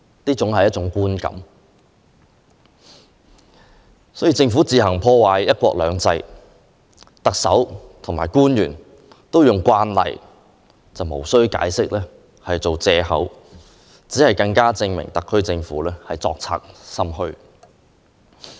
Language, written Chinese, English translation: Cantonese, 當政府自行破壞"一國兩制"，特首和官員都用"慣例"及"無須解釋"等言詞作藉口，只會更加證明特區政府作賊心虛。, As the Government took the initiative to damage one country two systems the Chief Executive and government officials have driven by their guilty conscience made up excuses by saying that is an established rule to do so and it was not necessary to give explanation